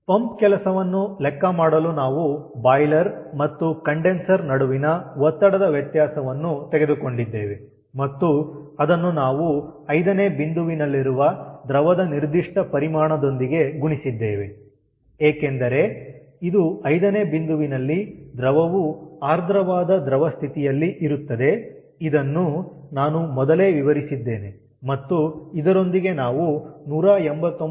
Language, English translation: Kannada, so for calculating the pump work, we have taken the pressure difference between the boiler and the condenser and we have multiplied it with this specific volume at point five, specific volume of liquid, because it is at liquid condition, a saturated liquid condition, at point five